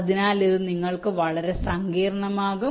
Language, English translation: Malayalam, ok, so this will become too complicated for you